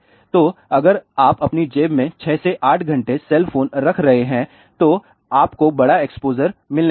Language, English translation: Hindi, So, if you are keeping the cell phone for 6 to 8 hours in your pocket you are going to get larger exposure